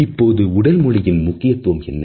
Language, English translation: Tamil, Now, what exactly is the significance of body language